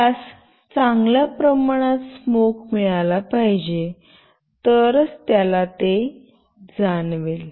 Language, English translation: Marathi, It should receive a good amount of smoke, then only it will sense